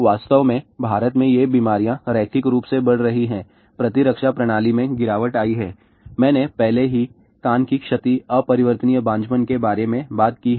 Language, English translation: Hindi, In fact, in India these diseases are increasing linearly , immune system degradation , I have already talked about ear damage irreversible infertility